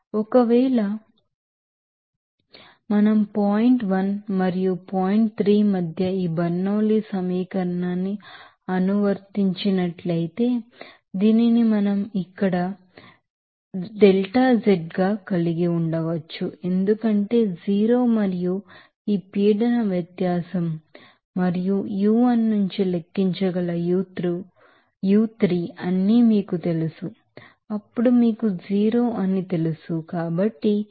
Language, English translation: Telugu, So, if we apply this Bernoulli’s equation between points 1 and 3 we can have this here z delta z because to 0 and you know that u3 that can be calculated from this pressure difference and u1 is then you know it is you know 0